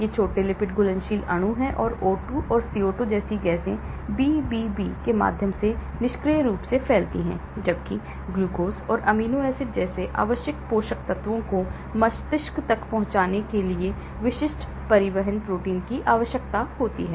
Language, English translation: Hindi, these are small lipid soluble molecules and blood gases like O2 and CO2 diffuse passively through the BBB while essential nutrients like glucose and amino acids required specific transport proteins in order to reach the brain